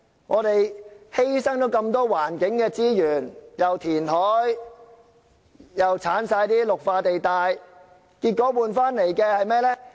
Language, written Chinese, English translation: Cantonese, 我們犧牲了那麼多環境資源，既填海又刪去綠化地帶，結果換來的是甚麼？, We have sacrificed so much environmental resource in carrying out reclamations and removing green belts . What is the result?